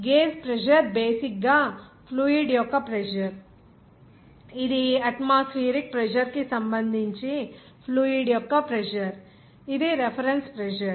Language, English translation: Telugu, gauge pressure is basically that is pressure of the fluid, which is the pressure of the fluid relative to the atmospheric pressure, that is reference pressure